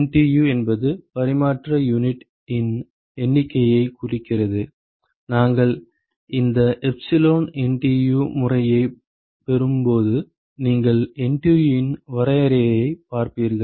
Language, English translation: Tamil, NTU stands for Number of Transfer Units, while we derive this epsilon NTU method you will see the definition of NTU